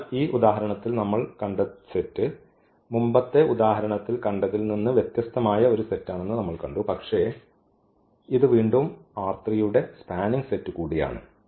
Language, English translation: Malayalam, So, again we have seen in this example that this was a different set here from than the earlier example, but again this is also a spanning set of this R 3